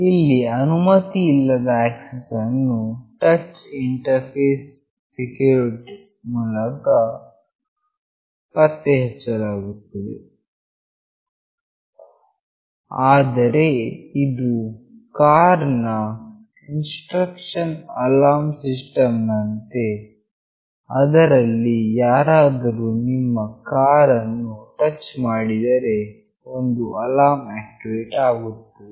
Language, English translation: Kannada, Here the unauthorized access is detected through a touch interface circuit that is similar to a car intrusion alarm system, where somebody touches your car and an alarm will activate